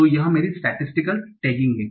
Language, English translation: Hindi, So this is my statistical tagging